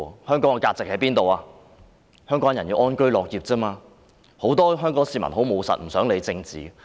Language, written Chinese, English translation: Cantonese, 香港人只求安居樂業，很多務實的香港市民也不願多談政治。, Hongkongers just wish to live in peace and work with contentment . Many pragmatic Hongkongers are reluctant to talk too much about politics